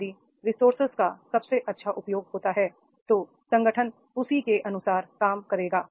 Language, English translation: Hindi, If there are the best utilization of resources, the organization will work accordingly